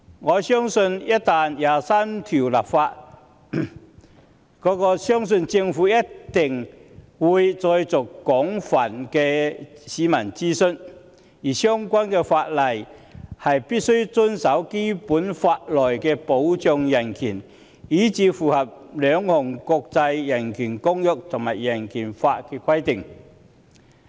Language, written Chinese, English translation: Cantonese, 我相信就第二十三條的工作一旦展開，政府必定會再作廣泛公眾諮詢，而相關法例必須符合《基本法》內保障人權的條文，以及符合兩項國際人權公約和人權法的規定。, I believe once we embark on the work on legislating for Article 23 the Government will surely conduct extensive public consultation again and the relevant legislation will have to comply with the provisions on protection of human rights in the Basic Law the requirements of the international covenants on human rights and the Hong Kong Bill of Rights Ordinance